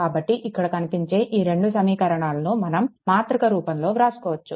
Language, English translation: Telugu, So, that is why this your this 2 equations, you can write in the matrix form, right